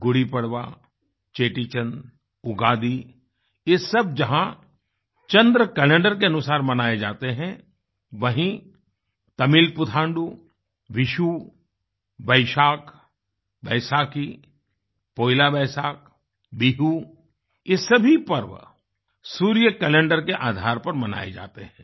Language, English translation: Hindi, GudiPadva, Chettichand, Ugadi and others are all celebrated according to the lunar Calendar, whereas Tamil PutanduVishnu, Baisakh, Baisakhi, PoilaBoisakh, Bihu are all celebrated in accordance with solar calendar